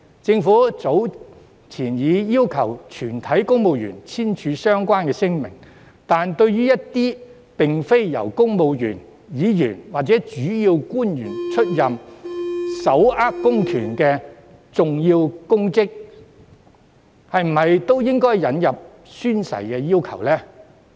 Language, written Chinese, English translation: Cantonese, 政府早前已要求全體公務員簽署相關聲明，但對於一些並非由公務員、議員或主要官員出任而手握公權力的重要公職，是否也應該引入宣誓的要求？, The Government has asked all civil servants to sign a declaration earlier but some important public offices that are not held by civil servants Legislative Council Members or principal officials also possess public powers . Should the oath - taking requirement be introduced on them as well?